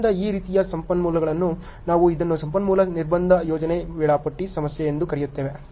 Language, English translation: Kannada, So, these type of problems we call it as a resource constraint project scheduling problem